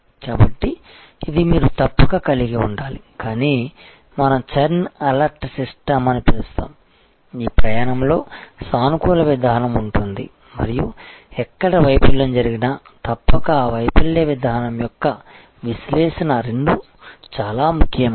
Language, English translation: Telugu, So, this is you must have, but we call a churn alert system, this is what if this journey during this journey therefore, there is a positive approach and wherever there is a failure you must have therefore, and analysis of that failure mechanism that is are both are very important